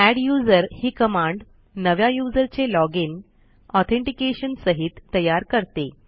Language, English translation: Marathi, The adduser command will create a new user login for us along with authentication